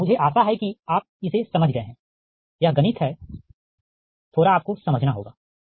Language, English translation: Hindi, it is mathematics little bit you have to understood, right